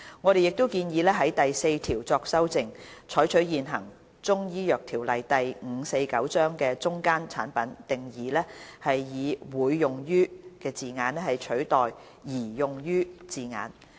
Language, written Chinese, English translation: Cantonese, 我們亦建議修訂第4條，採用現行《中醫藥條例》的"中間產品"定義，以"會用於"字眼取代"擬用於"字眼。, We also propose amending clause 4 to adopt the definition of intermediate product in the existing Chinese Medicine Ordinance Cap . 549 substituting intended for use with to be used